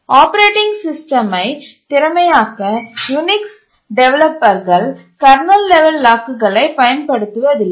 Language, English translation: Tamil, The developers of the Unix to make the operating system efficient did not use kernel level locks